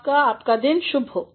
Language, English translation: Hindi, Have a nice day